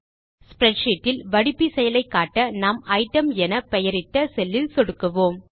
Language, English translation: Tamil, In order to apply a filter in the spreadsheet, lets click on the cell named Item